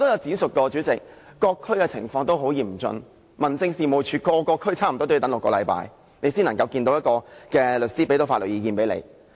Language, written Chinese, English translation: Cantonese, 主席，我詳述過各區情況都很嚴峻，差不多各區民政事務處也要等6星期，當事人才可以見律師和聽取法律意見。, President as I have said in detail just now the situation in various districts is very acute . A person in a lawsuit has to wait six weeks for the relevant services offered by DOs in almost all districts before he can meet with a lawyer and seek his legal advice